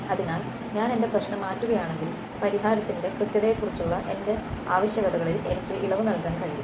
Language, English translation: Malayalam, So, I have if I change my problem I can relax my requirements on the accuracy of solution